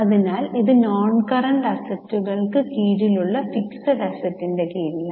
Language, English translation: Malayalam, So, this is under fixed assets, under non current assets